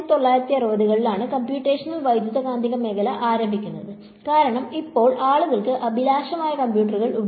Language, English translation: Malayalam, Then around the 1960s is where the field of computational Electromagnetics get started, because now people get ambitious computers are there